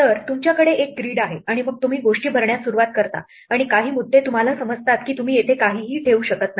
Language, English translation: Marathi, So, you have a grid and then you start filling up things and there are some points you realize that there is nothing you can put here